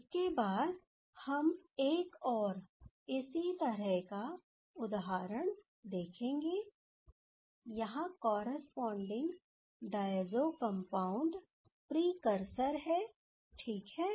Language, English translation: Hindi, Next, we will see another similar type of example that is, here the precursor is the corresponding diazo compound ok